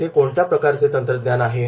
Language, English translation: Marathi, What type of technology is there